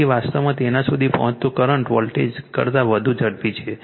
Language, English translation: Gujarati, So, current actually reaching it is peak faster than the voltage